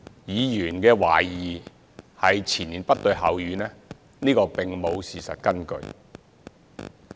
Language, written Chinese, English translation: Cantonese, 議員懷疑前言不對後語，這並無事實根據。, Members suspicion of inconsistency is unsubstantiated